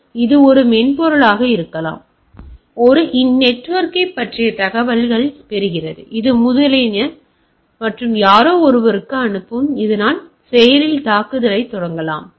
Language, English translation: Tamil, So, that can be a some software which is residing and carrying information about network which is etcetera, etcetera and go on transmitting to the somebody, so that it can launch a active attack